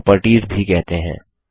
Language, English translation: Hindi, These are also called properties